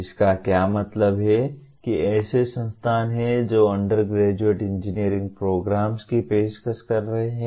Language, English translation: Hindi, What it means these are the institutions offering undergraduate engineering programs